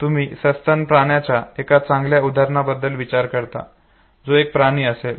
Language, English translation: Marathi, You think of one good example of a mammal which is an animal, you think of sheep, okay